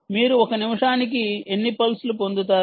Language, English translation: Telugu, ah, you will get the beats per minute